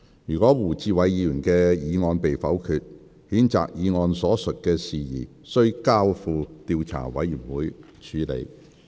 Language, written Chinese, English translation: Cantonese, 如胡志偉議員的議案被否決，譴責議案所述的事宜須交付調查委員會處理。, If Mr WU Chi - wais motion is negatived the matter stated in the censure motion should be referred to an investigation committee